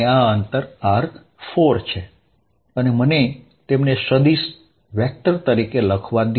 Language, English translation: Gujarati, Let this distance be r4, and let me write them as vectors